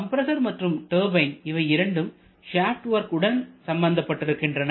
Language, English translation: Tamil, Both turbine and compressor are always mounted on the same shaft